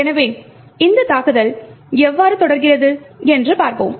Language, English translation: Tamil, So, let us see how this attack proceeds